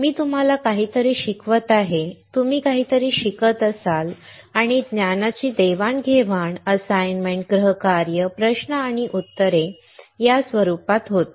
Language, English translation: Marathi, I will be teaching you something, you will be learning something, and exchange of knowledge happens in the form of assignments, home works, questions and answers